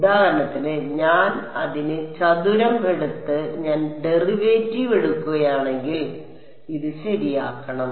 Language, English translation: Malayalam, So, for example, if I take W m x square it and I take the derivative, this should be bounded ok